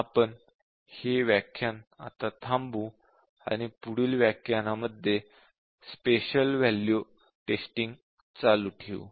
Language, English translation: Marathi, We will stop this session now and will continue with special value testing in the next session